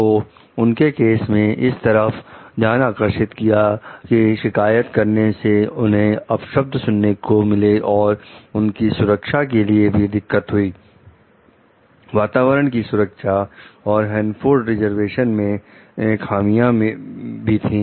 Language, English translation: Hindi, So, her case brought for attention to the abuse of complainants as well as to the safety, environmental, security and lapses at the Hanford reservation